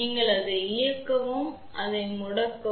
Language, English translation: Tamil, You just switch it on or you switch it off ok